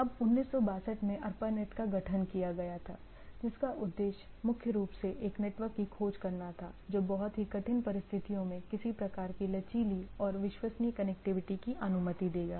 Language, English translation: Hindi, Now in 1962 this ARPANET was formed which primary aimed at finding a network which will allow some sort of a resilient and reliable connectivity during very extreme situations right